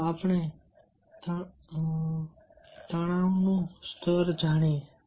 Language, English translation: Gujarati, let us now know our level of stress